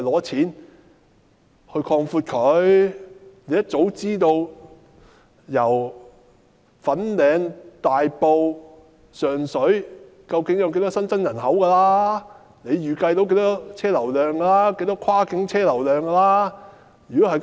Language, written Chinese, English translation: Cantonese, 政府一早便應知道大埔、粉嶺、上水究竟有多少新增人口，應能預計到有多少新增車流量，多少跨境車流量。, The Government should have known very early about the population growth in Tai Po Fan Ling and Sheung Shui . It should have been able to make projections on the flow of vehicular traffic and cross - boundary vehicular traffic